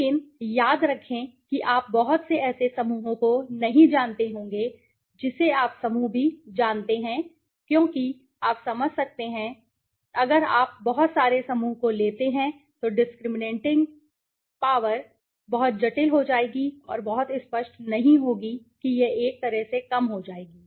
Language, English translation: Hindi, But remember you should not be taking too many you know groups also because you can understand why to I am saying, if you take too many groups the discriminating power will be very complex and will not be very clear it will in one way reduce okay